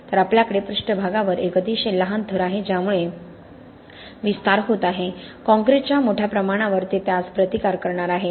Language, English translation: Marathi, So we have a very small layer in the surface that is causing the expansion, on the bulk of the concrete it is going to resist that